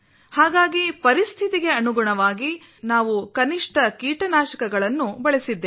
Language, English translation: Kannada, Accordingly, we have used minimum pesticides